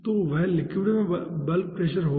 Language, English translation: Hindi, okay, so that will be the bulk pressure in the liquid